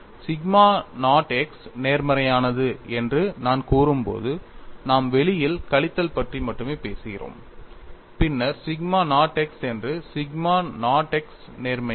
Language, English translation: Tamil, He introduce the sigma naught x and it appears as minus sigma naught x, when I say sigma naught x is positive, we are only talking about minus outside then sigma naught x that sigma naught x is positive